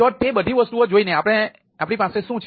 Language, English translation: Gujarati, so, looking all those things